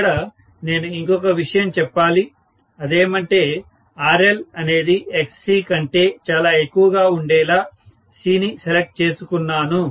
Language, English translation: Telugu, So, I should say that C is chosen such that RL is much much higher than XC, right